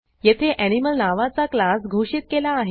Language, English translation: Marathi, Here I have defined a class named Animal